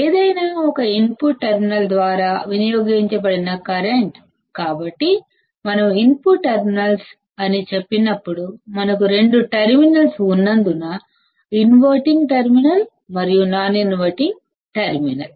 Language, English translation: Telugu, The current drawn by either of the input terminals, so when we say either of input terminals, means that, as we have two terminals, inverting terminal and non inverting terminal and we also have the output terminal